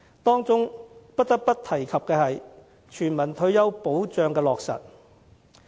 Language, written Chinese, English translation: Cantonese, 當中不得不提及的，是全民退休保障的落實。, One more issue that cannot be omitted is the implementation of universal retirement protection